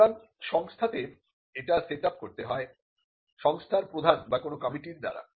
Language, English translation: Bengali, So, it has to be set up by the institution either by the head of the institution or by a committee